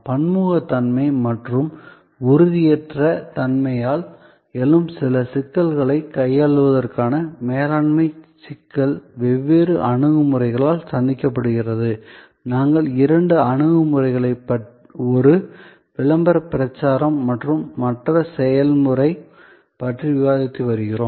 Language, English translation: Tamil, So, the management problem for tackling these complexities arising from heterogeneity and intangibility are met by different approaches and we have been discussing two approaches, one promotion and the other process